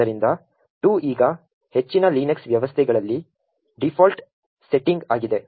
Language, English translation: Kannada, So, this 2 now is the default setting in most Linux systems